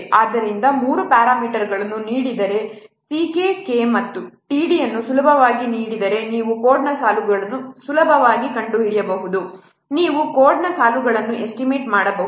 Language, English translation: Kannada, So, given any so say for lines of code there are you can see that four things s s k k k and t d so if three parameters are given c k and t are given easily you can find out the lines of code easily you can estimate the lines of code